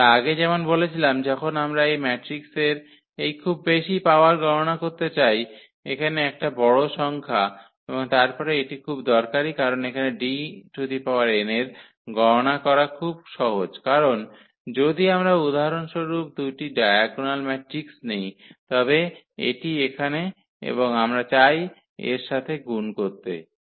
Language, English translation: Bengali, So, we can use as I said before when we want to compute this very high power of this matrix a large number here and then this is very very useful because D power n the computation here is very simple because if we take 2 diagonal matrix for example, this here and we want to multiply with the same